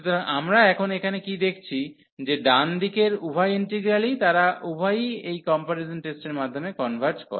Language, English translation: Bengali, So, what we have observed now here that both the integrals on the right hand side, they both converges by this comparison test